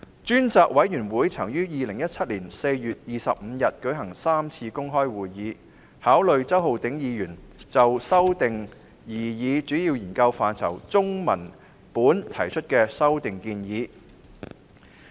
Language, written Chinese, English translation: Cantonese, 專責委員會在2017年4月25日舉行第三次公開會議，考慮周浩鼎議員就經修訂擬議主要研究範疇中文本提出的修訂建議。, At its third open meeting held on 25 April 2017 the Select Committee deliberated on the amendments proposed by Mr Holden CHOW to the Chinese text of the revised proposed major areas of study